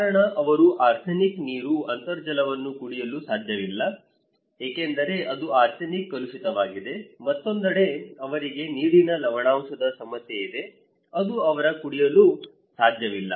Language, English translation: Kannada, The reason is that they cannot drink arsenic water, groundwater because it is arsenic contaminated, on the other hand, they have a problem of water salinity that is surface water they cannot drink